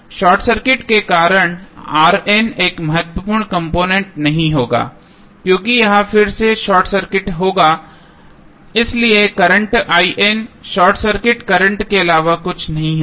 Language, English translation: Hindi, Because of the short circuit the R N will not be a significant component because it will again be short circuited so if current I N would be nothing but the short circuit current